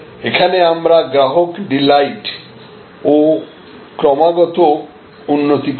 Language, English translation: Bengali, This is where we produce customer delight and improve continuously